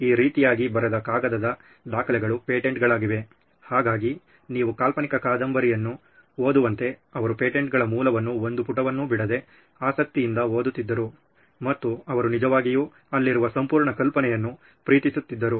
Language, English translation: Kannada, Paper documents were the patents to written as, so he would go through them page by page as if you are reading a fiction novel, he would read through patents and he would really love the whole idea of being there